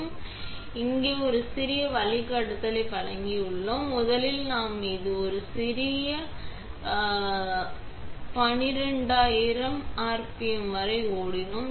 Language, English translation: Tamil, And they have given a little guideline here, first we ran this little guy up to 12000